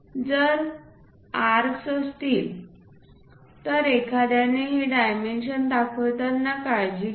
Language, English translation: Marathi, If there are arcs involved in that, one has to be careful in showing these dimensions